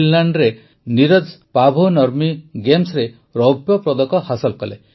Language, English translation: Odia, Neeraj won the silver at Paavo Nurmi Games in Finland